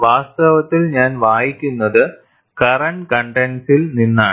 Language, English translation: Malayalam, In fact, what I am reading is from Current Contents